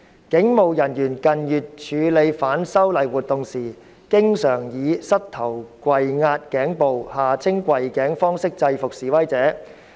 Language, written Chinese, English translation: Cantonese, 警務人員近月處理反修例活動時，經常以膝頭跪壓頸部方式制服示威者。, In handling the activities against the proposed legislative amendments in recent months police officers often subdued demonstrators by means of kneeling on their necks